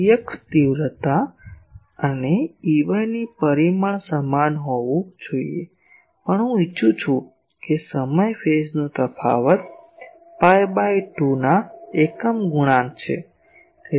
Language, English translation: Gujarati, That E x magnitude and E y magnitude to be same also I want time phase difference is odd multiples of pi by 2